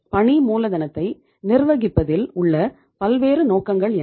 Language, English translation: Tamil, What are the different objectives of managing the working capital